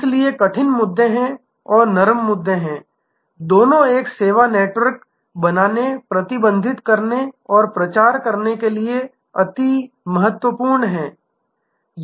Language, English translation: Hindi, So, there are hard issues and there are soft issues, both are important to create, manage and propagate a service network